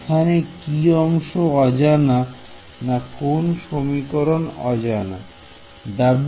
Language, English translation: Bengali, What is the unknown in this equation